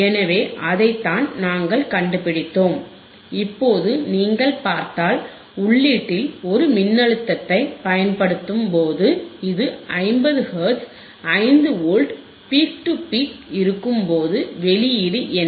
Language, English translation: Tamil, So, that is what we have found and now if you see that when we apply a voltage apply a voltage at the input right apply the voltage at the input, which is 5 Volts peak to peak at 50 Hertz, then what is the output